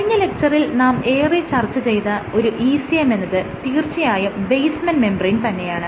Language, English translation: Malayalam, One of the particular ECMs that we discussed was the basement membrane right